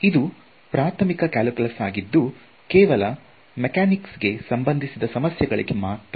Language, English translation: Kannada, So, that is early calculus and mostly for mechanics problems